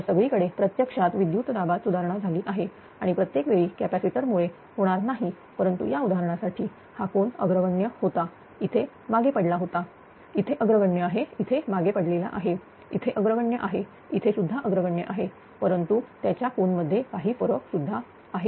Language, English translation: Marathi, So, everywhere voltage actually has improved and because of the capacitor although not all the time it will happen but for this example, this angle was leading, here it was lagging, here it is leading, here it is lagging, here it was leading, here also it is leading but there is some change in the angle also